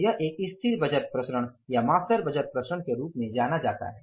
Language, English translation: Hindi, So this is known as the static budget variance or the master budget variances